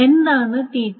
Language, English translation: Malayalam, So, what is T2T1